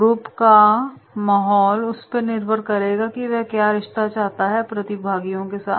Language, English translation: Hindi, So elements of the group environment will be relationship among participants